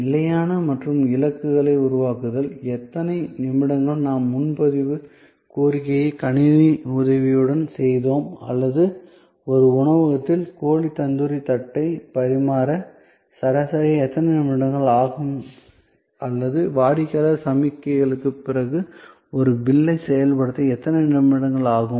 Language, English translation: Tamil, And creation of standard and targets; that in how many minutes we want a reservation request, we done with the help of computer or how many minutes it takes on a average to serve a plate of chicken tandoori in a restaurant or how many minutes it takes as to process a bill, after the customer signals